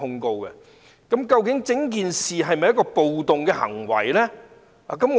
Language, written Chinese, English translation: Cantonese, 究竟有關事件是否暴動行為？, Did the incident really involve acts of rioting?